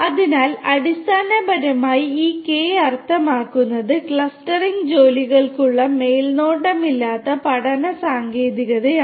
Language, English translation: Malayalam, So, basically this is how this K means unsupervised learning technique for clustering works